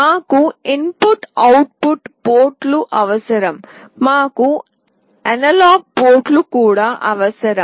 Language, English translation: Telugu, We need input output ports; we also need analog ports